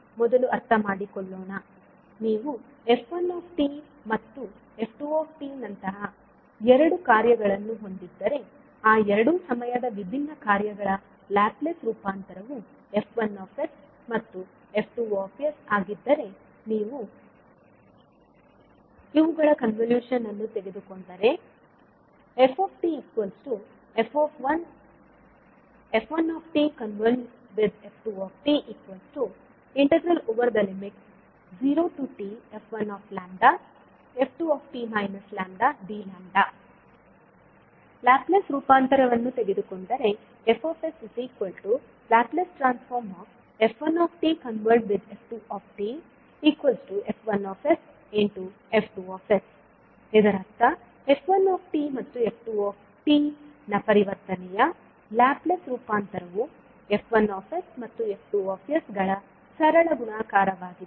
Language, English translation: Kannada, So suppose if you have two functions like f1 and f2, the Laplace transform of those two time varying functions are f1s and f2s , then if you take the convolution of f1 and f2 then you will say that the output of the convolution of f1 and f2 and when you take the Laplace of the convolution of the f1 and the f2, you will simply say that the Laplace of the convolution of f1 and f2 would be nothing but f1s multiplied by f2s